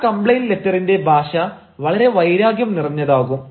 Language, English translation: Malayalam, the language of the complaint letter is very aggressive